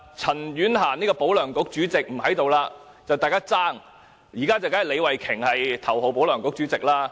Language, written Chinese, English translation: Cantonese, 陳婉嫻這位"保梁局"主席現已不是立法會議員，現在李慧琼議員才是頭號"保梁局"主席。, CHAN Yuen - han a former chairman of the Pro - LEUNG Kuk is not a Legislative Council Member now . Ms Starry LEE is now the chairman of the Pro - LEUNG Kuk